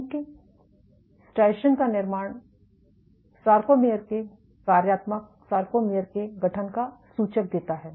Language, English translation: Hindi, So, since formation of striations is indicative of a formation of sarcomeres functional sarcomeres